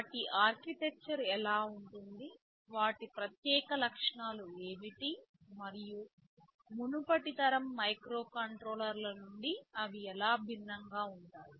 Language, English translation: Telugu, What are their architecture like, what are their specific features, like and how are they different from the earlier generation of microcontrollers ok